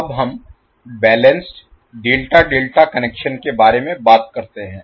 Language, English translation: Hindi, Now let us talk about the balanced Delta Delta Connection